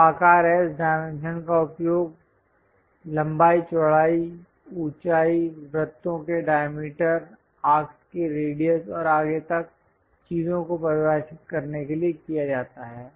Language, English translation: Hindi, So, size S dimensions are used to define length, width, height, diameter of circles, radius of arcs and so on, so things